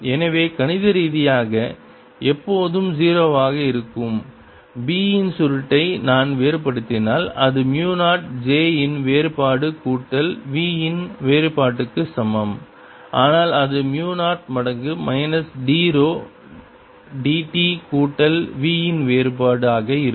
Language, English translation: Tamil, so if i take divergence of curl of b, which mathematically is always zero, it's going to be equal to mu zero divergence of j plus divergence of v, which is nothing but mu zero times minus d rho d t plus divergence of v